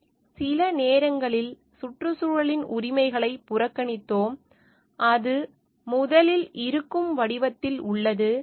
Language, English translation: Tamil, We are sometimes overlooking the rights of the environment for existing in the form, which is it originally exist